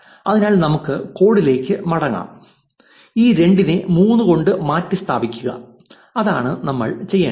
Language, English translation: Malayalam, So, let us go back to the code and just replace this 2 by 3 and that is all we need to do